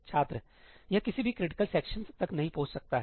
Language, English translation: Hindi, It wonít reach any of the critical sections